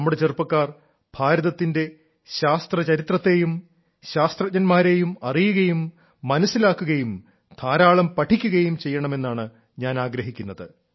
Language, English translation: Malayalam, I definitely would want that our youth know, understand and read a lot about the history of science of India ; about our scientists as well